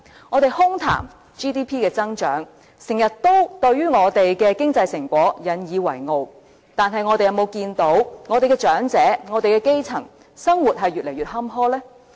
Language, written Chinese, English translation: Cantonese, 我們空談 GDP 的增長，時常對我們的經濟成果引以為傲，但我們有否看到長者及基層市民，生活越來越坎坷呢？, We often talk about our GDP growth in isolation and boast of our economic success . But has it ever occurred to us that the life of elderly and grass - root people is getting more and more miserable?